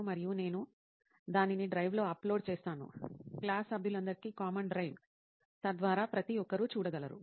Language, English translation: Telugu, And I upload it in the drive, common drive for all the class members so that everybody could see it